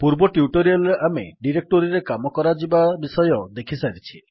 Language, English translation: Odia, In a previous tutorial, we have already seen how to work with directories